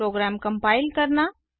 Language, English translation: Hindi, To compile the program